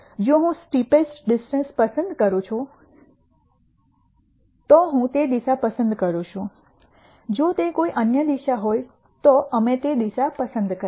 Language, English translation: Gujarati, If I choose the steepest descent then I choose that direction, if it is some other direction we choose that direction